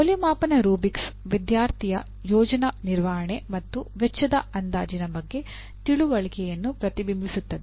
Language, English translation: Kannada, The rubrics of evaluation should reflect the student’s understanding of the project management and estimation of cost